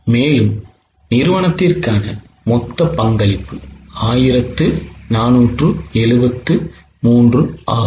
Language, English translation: Tamil, Total for the company is 1473